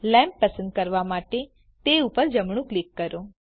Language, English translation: Gujarati, Right click the lamp to select it